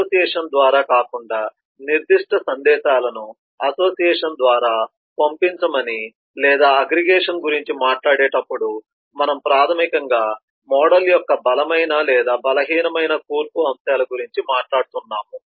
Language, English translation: Telugu, so, unlike association, which tells you that specific messages at intended to be sent through association, or when we talk about aggregation, we are basically talking about strong or weak compositional aspects of the model